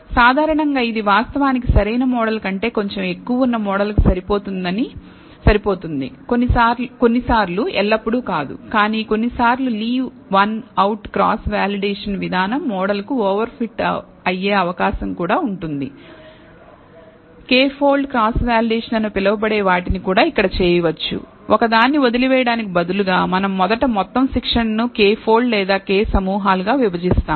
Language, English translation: Telugu, In general it may actually sometimes fit a model which is slightly more than the optimal model by not always, but sometimes it is also possible that the Leave One Out Cross Validation procedure over fits the model We can also do what is called the k fold cross validation where here instead of leaving one out, we first divide the entire training set into k folds or K groups